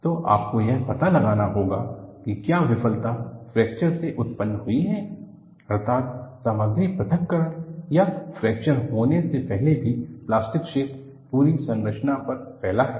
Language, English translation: Hindi, So, you have to find out whether the failure is precipitated by fracture, that is, material separation or even before fracture occurs, plastic zone spreads on the entire structure